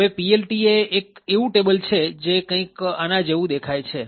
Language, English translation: Gujarati, Now PLT is a table which looks something like this